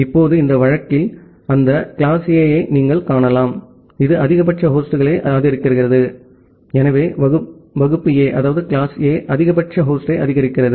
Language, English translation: Tamil, Now, in this case, you can see that class A, it supports maximum number of hosts, so class A supports maximum number of host